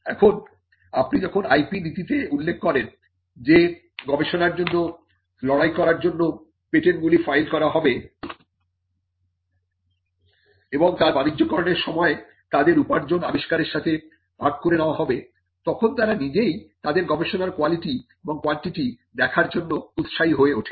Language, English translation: Bengali, Now, when you mention in the IP policy that patents will be filed for trestles of research, and when they are commercialized the revenue will be shared with the inventors, then that itself becomes an incentive for people to look at the quality and the quantity of their research out